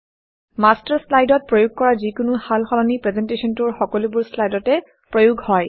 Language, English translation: Assamese, Any change made to the Master slide is applied to all the slides in the presentation